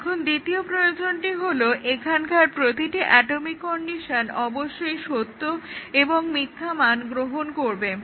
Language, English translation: Bengali, Now, the second requirement is that every atomic condition here should take true and false value